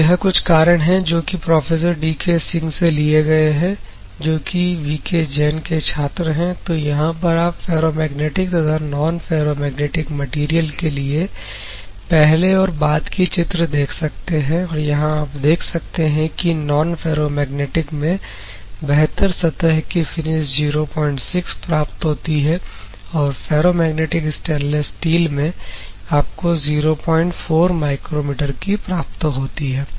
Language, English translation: Hindi, These are the reasons that are taken from Professor D K Singh, who is a student of the processor V K Jain; and you can see before and after for the ferromagnetic and non ferromagnetic materials, and along and you can see the better surface finish that is achieved in the non ferromagnetic is 0